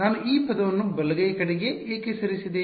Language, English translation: Kannada, Why did I move this term to the right hand side